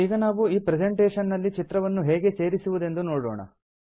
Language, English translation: Kannada, We will now see how to add a picture into this presentation